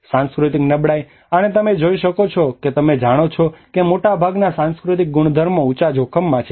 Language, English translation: Gujarati, The cultural vulnerability: and you can see that you know much of the cultural properties are under the high risk